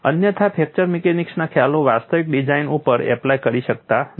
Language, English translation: Gujarati, Otherwise fracture mechanics concepts cannot be applied to actual designs